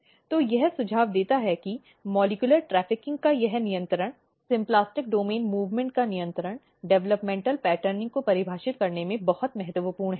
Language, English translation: Hindi, So, this suggest that this control of the molecular trafficking, control of the symplastic domain movement is very important in defining the developmental patterning